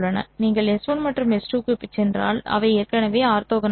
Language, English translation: Tamil, If you go back to s 1 and s 2, they are already orthogonal